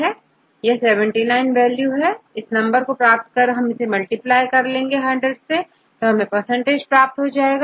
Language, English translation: Hindi, N equal to 79, we divide with the 79, then we will get this number and multiplied by 100 you will get in percentage